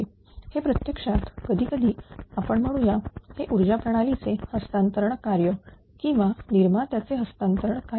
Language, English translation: Marathi, This is actually sometimes we call this is power system transfer function or generator transfer function right